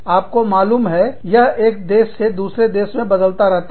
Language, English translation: Hindi, You know, it varies from, country to country